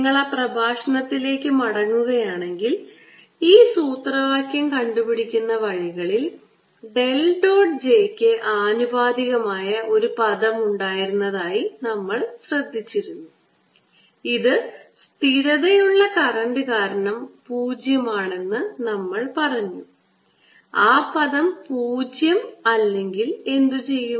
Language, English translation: Malayalam, if you go back to that lecture you will notice that in deriving this formula along the way there was a term which was proportional to del dot j, which we said was zero because of this steady current